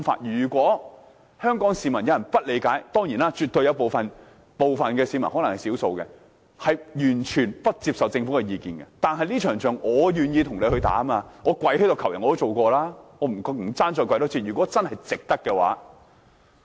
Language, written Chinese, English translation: Cantonese, 如果有香港市民不理解——當然，絕對有部分、可能是少數的市民完全不接受政府的意見，但這場仗我絕對願意跟官員一起打，即使跪地求人我也試過，不怕多跪一次，如果真是值得的話。, If some people of Hong Kong do not understand this―of course there will definitely be some people may be a small number who will not accept the views of the Government anyway . I am perfectly willing to fight this battle with government officials though this may mean begging on my knees as I did before . I do not mine doing it again for a really worthy cause